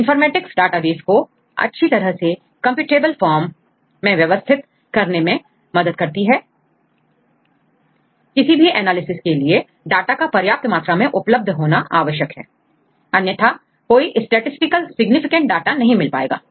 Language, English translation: Hindi, This is what the Bioinformatics do to develop plenty of databases which are well organized, are in computable form Once we have the data right, sufficient number of data, which is very essential and it is required for any analysis right otherwise you do not get any statistical significant data